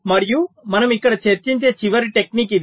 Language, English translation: Telugu, so, and one last technique we discuss here